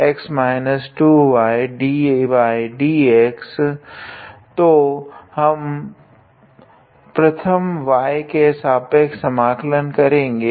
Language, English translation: Hindi, So, we first integrate with respect to y